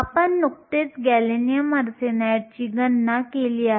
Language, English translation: Marathi, We just did the calculation for gallium arsenide